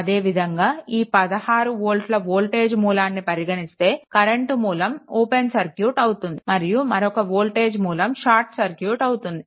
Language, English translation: Telugu, Similarly, when I mean when this 16 volt source is taken, but current source is open and when another voltage source is shorted